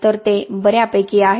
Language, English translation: Marathi, So that is fairly good